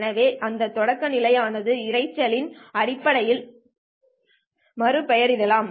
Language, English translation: Tamil, Therefore this probability can be rephrased in terms of the noise